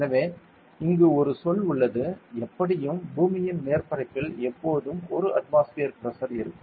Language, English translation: Tamil, So, there is a term like; anyway, there will be a pressure of around 1 atmosphere always on the surface of the earth correct